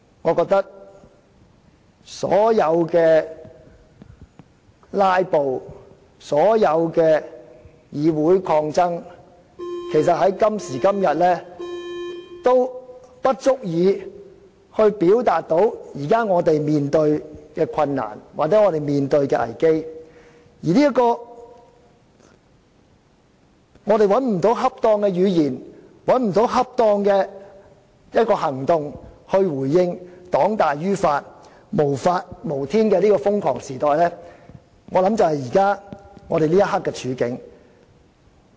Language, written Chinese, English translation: Cantonese, 我覺得所有"拉布"、議會抗爭在今時今日已不足以表達我們現正面對的困難或危機，我們找不到恰當的語言、行動來回應黨大於法、無法無天的瘋狂時代，我想這就是我們此刻的處境。, I think all actions including filibustering and contesting in the Legislative Council are not adequate for expressing the difficulties or risks we are now facing . We cannot find any suitable language or action to respond to this crazy era in which the ruling party is superior to the law and the law is defied . I think that is our current plight